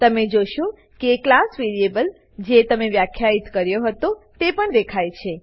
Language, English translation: Gujarati, You will notice the class variable you defined, also show up